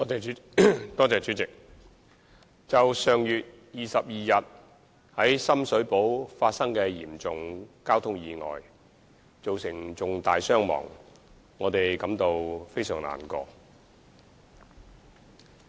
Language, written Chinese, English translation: Cantonese, 主席，就上月22日在深水埗發生的一宗嚴重交通意外，造成重大傷亡，我們感到非常難過。, President a serious traffic accident happened in Sham Shui Po on 22 September which resulted in heavy casualties